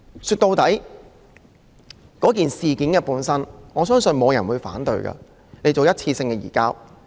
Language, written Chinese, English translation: Cantonese, 說到底，我相信沒有人會反對政府作出一次性的移交。, At the end of the day I believe no one would object to a one - off extradition